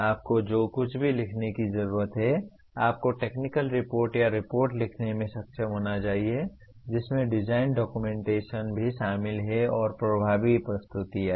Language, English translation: Hindi, Whatever you do you need to write, you should be able to write technical reports or reports which are also include design documentations and make effective presentations